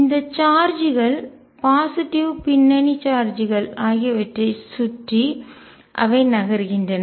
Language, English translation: Tamil, The kind of move around these charges the positive background charges